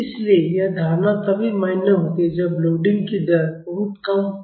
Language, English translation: Hindi, So, this assumption is valid only when the rate of loading is very small